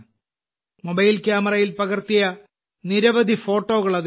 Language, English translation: Malayalam, There are many photographs in it which were taken with a mobile camera